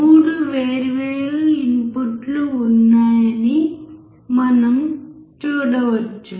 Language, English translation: Telugu, We can see there are 3 different inputs